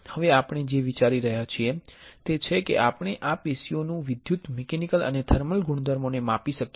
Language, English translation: Gujarati, Now, what we are planning is can we measure the electrical mechanical and thermal properties of this tissue and for that what we can do